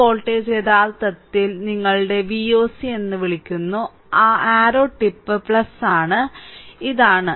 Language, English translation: Malayalam, So, this voltage actually this voltage your what you call the V oc, that arrow tip is plus and this is minus